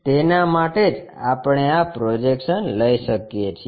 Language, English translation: Gujarati, For that only we can take these projections